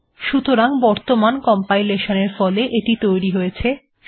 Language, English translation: Bengali, So this is the result of the recent compilation